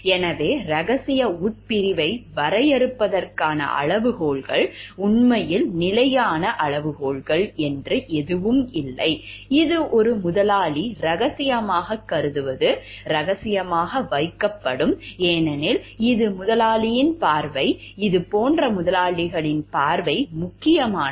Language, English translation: Tamil, So, the criteria for defining the confidential clause are, actually there is no fixed criteria as such, it is what an employer considers to be confidential, shall be kept confidential, because it is the employers vision, employers view like this is important for me and it is the employer’s perception also